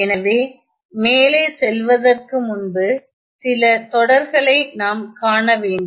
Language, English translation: Tamil, So, before I go ahead, let us consider some sequence